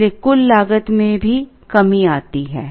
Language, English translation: Hindi, Therefore, the total cost also comes down